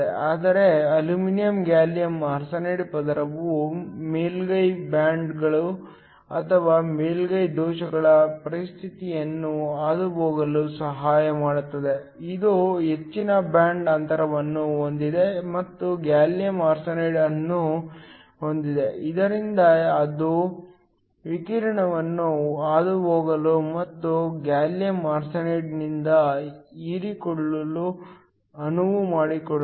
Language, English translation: Kannada, But the aluminum gallium arsenide layer helps in passivating the surface bonds or the surface defects states, it also has a higher band gap then gallium arsenide so that it allows the radiation to pass through it and be absorbed by the gallium arsenide, this intern leads to a higher efficiency